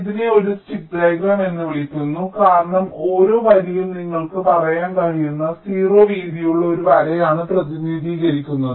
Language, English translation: Malayalam, this is called a stick diagram because each line is represented by a line of, ok, zero width